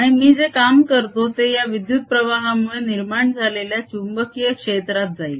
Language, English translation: Marathi, and that work that i am doing goes into establishing the magnetic field which arises out of this current